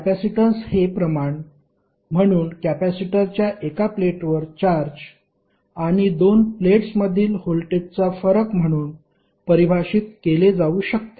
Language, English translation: Marathi, Capacitance can be defined as the ratio of charge on 1 plate of the capacitor to the voltage difference between the 2 plates